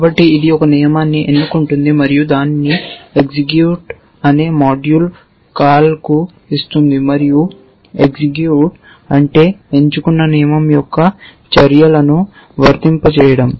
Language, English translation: Telugu, And then so, its selects a rule and gives it to a module call execute and what is execute does is to applies the actions of selected rule